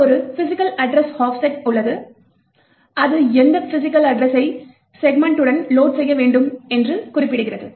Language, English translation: Tamil, There is also physical address offset which specifies, which physical address that the segment should be loaded